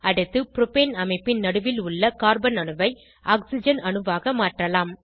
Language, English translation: Tamil, Next lets replace the central Carbon atom in Propane structure with Oxygen atom